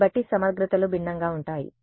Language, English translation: Telugu, So, the integrals will be different